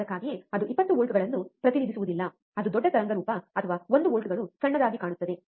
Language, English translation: Kannada, That is why it does not represent that 20 volts is it looks bigger waveform or one volts which smaller both look same